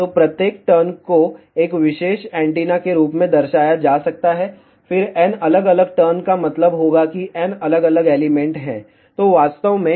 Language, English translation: Hindi, So, each turn can be represented as one particular antenna, then n different turns will mean that there are n different elements are there